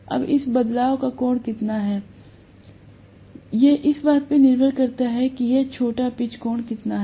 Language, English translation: Hindi, Now, how much ever is the angle of this shift depends upon how much is this short pitch angle